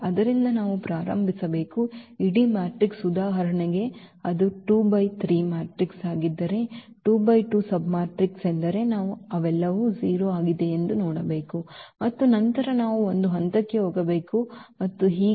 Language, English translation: Kannada, So, we have to start with the whole matrix if for example, it is 2 by 3 matrix then 2 by 2 submatrix is we have to look and see if they all are 0 then we have to go to the one level and so on